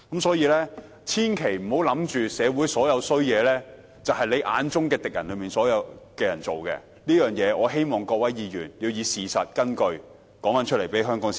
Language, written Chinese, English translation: Cantonese, 所以，千萬不要以為社會上所有壞事均是自己眼中的敵人所做的，我希望各位議員要以事實作為根據，並如實告知香港市民。, Hence one should never think that all evils in society are done by those opponents in our eyes . I hope Members will act on the basis of facts and tell members of the public in Hong Kong the truth